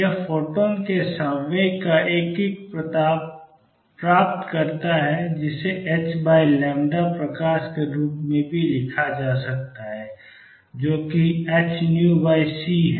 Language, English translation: Hindi, It gets a kick of momentum of photon, which can also be written as h over lambda light, which is h nu over c